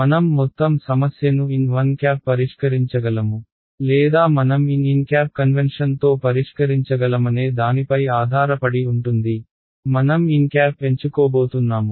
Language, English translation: Telugu, So, I could solve the whole problem with n 1 or I could solve it with n convention depends on me ok, I am going to choose n